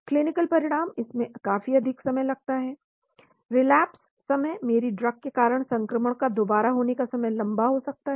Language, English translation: Hindi, Clinical outcomes , this is going to take much longer, relapse time because of my drug the relapse time of the infection gets longer